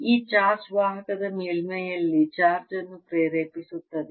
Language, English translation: Kannada, this charge induces charge on the surface of the conductor